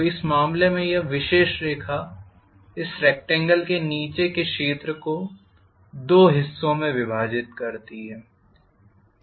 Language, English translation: Hindi, So in this case this particular line divides this area under the rectangle exactly into two halves